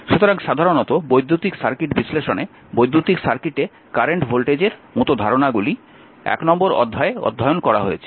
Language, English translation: Bengali, So, generally your in the in the electrical circuit analysis, right the concept such as current voltage and power in an electrical circuit have been we have studied in the chapter 1